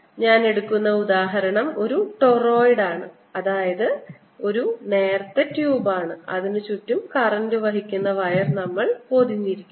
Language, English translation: Malayalam, the example i take is that of a turoide, that is, it is a thin quab which is running around on which we have wrapped a current carrying wire, if you like